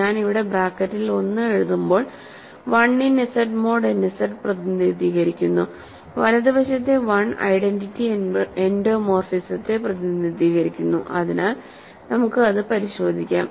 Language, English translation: Malayalam, So, capital phi of 1 is equal to 1, when I write 1 in the bracket here represents 1 in Z mod n Z; on the right hand side 1 represents the identity endomorphism so, we check that